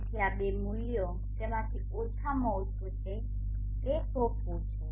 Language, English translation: Gujarati, So these two values the minimum of them is what has to be assigned to